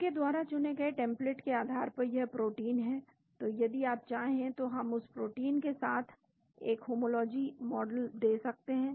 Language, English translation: Hindi, There is the protein as the template which you selected so we can give a homology model with that protein if you want